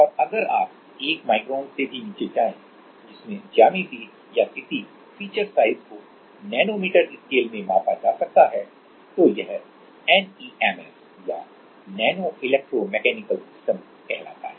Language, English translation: Hindi, And if you go to even below 1 micron which geometries or which feature size can be measured in nanometer scale, then it is NEMS or nano electro mechanical systems